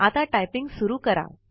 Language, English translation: Marathi, Lets start typing